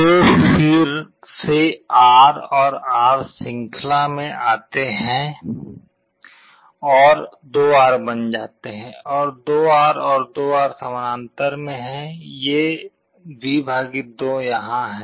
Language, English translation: Hindi, So, again R and R come in series becomes 2R, and 2R and 2R in parallel; this is V / 2 here